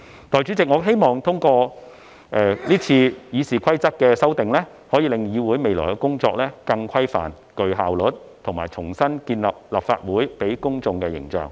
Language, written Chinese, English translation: Cantonese, 代理主席，我希望通過這次《議事規則》的修訂，可令議會未來的工作更規範和具效率，以及重新建立立法會給予公眾的形象。, Deputy President through the amendments made to the Rules of Procedure this time I hope the work of the Council will be more regularized and efficient and the public image of the Legislative Council can be re - established